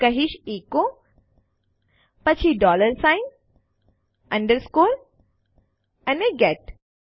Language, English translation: Gujarati, Im going to say echo , then a dollar sign, an underscore and a get